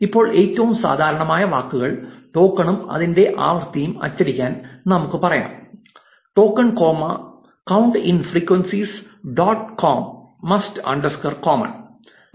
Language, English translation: Malayalam, Now, to print the token and its frequency for the most commonly occurring words, we can say, for token comma count in frequencies dot most underscore common